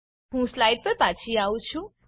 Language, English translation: Gujarati, I have returned to the slides